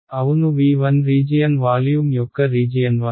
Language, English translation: Telugu, Yes v 1 is the region of is the volume of region 1 ok